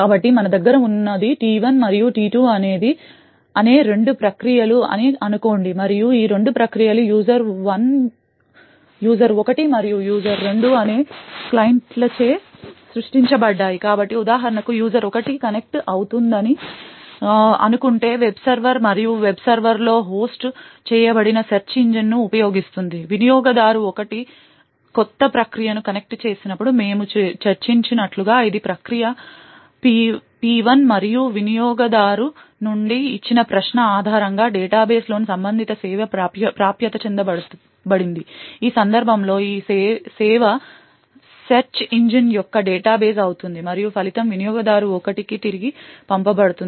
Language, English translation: Telugu, So what we have, let us say is two processes T1 and T2 and these two processes are created by two clients, user 1 and user 2, so let us say for example user 1 is connects to the web server and is using search engine which is hosted on the web server as we have discussed when the user 1 connects a new process gets created which is process P1 and based on the query from the user, the corresponding service in the data base is accessed, in this case this service would be the data base for the search engine and the result is then sent back to the user 1